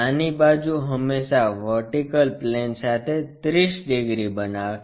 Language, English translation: Gujarati, The small side is always making 30 degrees with the vertical plane